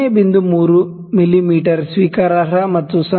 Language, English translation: Kannada, 3 mm is acceptable and 0